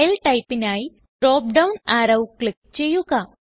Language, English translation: Malayalam, For File type, click on the drop down arrow